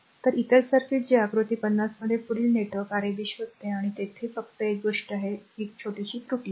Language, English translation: Marathi, So, these another circuit that further network in figure 50 find Rab and I just one thing here one here one small error is there